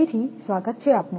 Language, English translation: Gujarati, Welcome back again